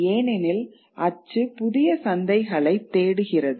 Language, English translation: Tamil, Because print searches for new markets